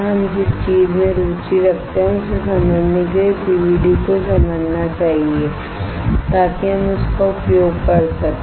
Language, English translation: Hindi, What we are interested is to understand the PVD understand the PVD such that we can use it